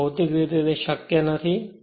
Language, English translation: Gujarati, So, it is physically not possible